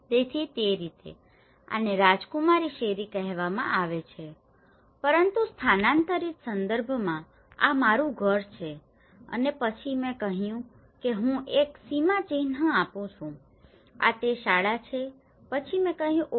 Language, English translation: Gujarati, So in that way, this is called a princess street but in relocated context, this is my house and then I said I give a landmark this is the school then I said oh